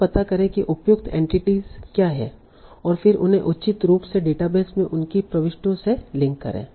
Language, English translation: Hindi, Find out what are the appropriate entities, then appropriately link them to their entries in the database